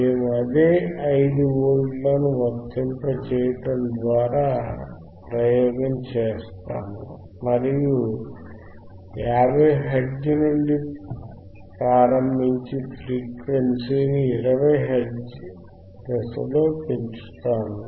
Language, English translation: Telugu, We will do the same experiment; that means, that will by applying 5 volts and will start from 50 hertz start from 50 hertz and increase the frequency at the step of 20 hertz increase the frequency at step of 20 hertz, right